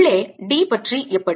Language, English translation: Tamil, how about d inside